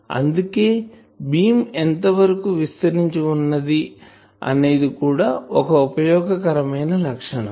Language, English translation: Telugu, So, that is why how wide is that beam that is an useful criteria